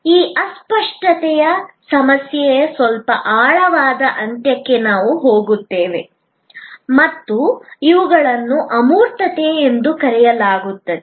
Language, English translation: Kannada, We will get into a little deeper end of this intangibility problem and these are called abstractness